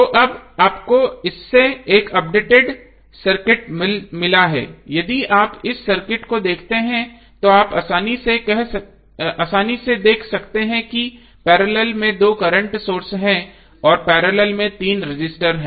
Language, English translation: Hindi, So now, you have got updated circuit from this if you see this circuit you can easily see that there are two current sources in parallel and three resistances in parallel